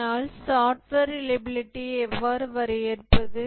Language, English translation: Tamil, But how do we define software reliability